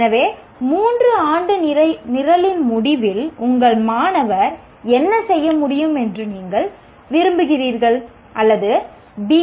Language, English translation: Tamil, So at the end of a three year program, what you want your student to be able to do